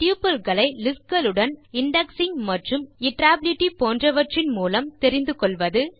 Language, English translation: Tamil, Understand the similarities of tuples with lists, like indexing and iterability